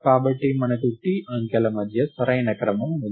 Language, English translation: Telugu, Therefore, we have the correct order among the t digits